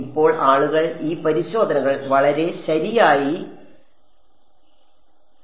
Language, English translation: Malayalam, Now people have done these tests a lot right